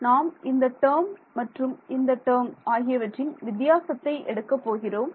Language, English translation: Tamil, So, we are taking the difference between this guy and this guy